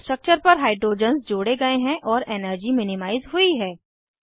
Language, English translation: Hindi, Hydrogens are added to the structure and the energy minimized